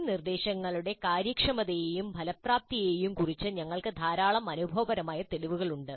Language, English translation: Malayalam, We also have considerable amount of empirical evidence regarding the efficiency as well as the effectiveness of these instructions